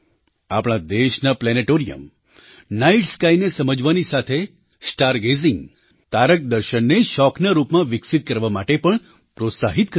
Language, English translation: Gujarati, The planetariums in our country, in addition to increasing the understanding of the night sky, also motivate people to develop star gazing as a hobby